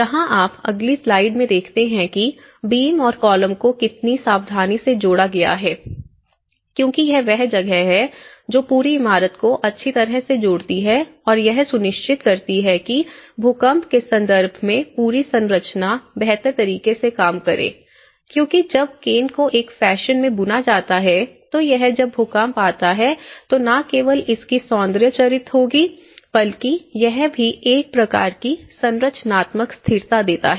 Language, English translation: Hindi, That is where you see in the next slide, you can see that here that the joining of the beams and the columns, how carefully they have them because that is where, it is going to tie the whole building and it is going to make sure that the whole structure acts in a better way in terms of the earthquake, when earthquake happens and because when the canes are woven in a fashion it will also not only the aesthetic character of it but it also gives a kind of structural stability